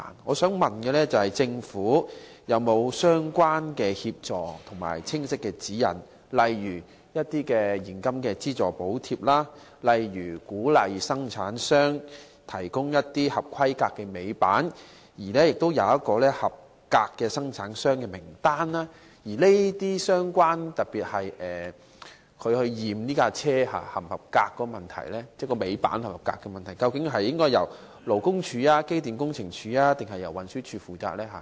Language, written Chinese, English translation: Cantonese, 我想問政府有否提供相關協助和清晰指引，例如現金資助、鼓勵生產商提供合規格的尾板或提供合格的生產商名單？檢驗貨車尾板是否合格的問題，究竟應該由勞工處、機電工程署，還是運輸署負責呢？, May I ask the Government whether it has provided relevant assistance and clear guidance such as cash allowance to encourage manufacturers to supply compliant tail lifts or provide a list of qualified manufacturers; and of LD Electrical and Mechanical Services Department or Transport Department which department should take charge of the testing of tail lift tests for their compliance?